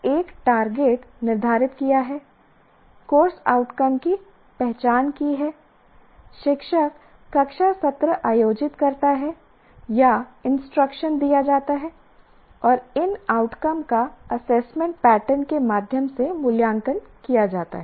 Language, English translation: Hindi, The course outcomes are having identified course outcomes, the teacher conducts the class sessions or the instruction is performed and then these outcomes are assessed through an assessment pattern